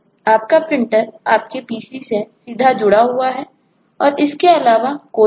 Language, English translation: Hindi, your printer is directly connected to your pc